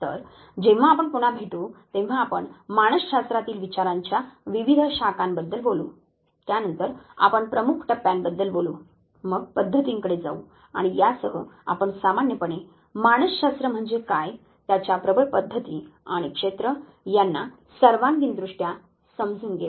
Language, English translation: Marathi, So, when we meet next we would be talking about various schools of thoughts in psychology then we would talking about major mile stones then, we will go to methods and with this we will be basically completing our overall understanding of what psychology is ,the dominant methods and fields